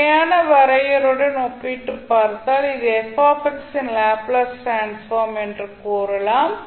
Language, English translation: Tamil, So if you compare with the standard definition you can simply say that this is the Laplace transform of fx